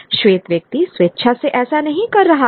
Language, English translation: Hindi, The white man is not voluntarily doing it